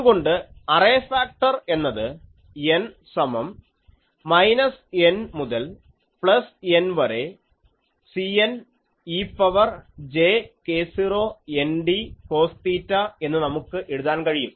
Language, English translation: Malayalam, So, the array factor, we can write as n is equal to minus N to capital N C n e to the power j k 0 n d cos theta